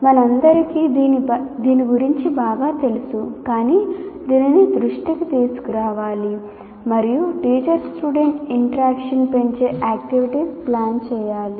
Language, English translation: Telugu, These are not some things that we are not, we are all familiar with this, but it has to be brought into focus and we have to plan activities that enhances the teacher student interaction